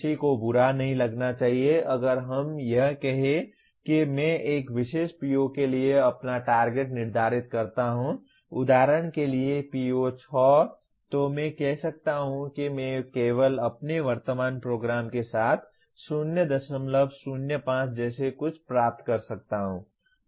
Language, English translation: Hindi, One should not feel bad if let us say I set my target for a particular PO like for example PO6, I may say I can only attain with my current program something like 0